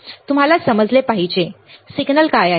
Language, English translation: Marathi, You have to understand, what is the signal